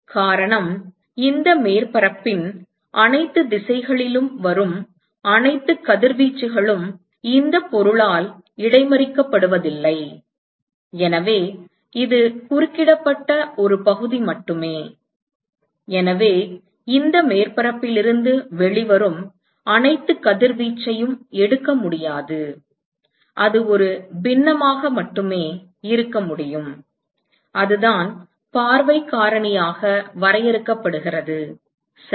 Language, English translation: Tamil, The reason is that not all radiation that comes in all directions of this surface is intercepted by this object; so it is only a fraction which is intercepted and therefore, it cannot take all the radiation that comes out of this surface can only be a fraction and that is what is defined as view factor all right